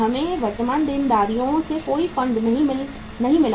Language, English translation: Hindi, We have not got any funds from the current liabilities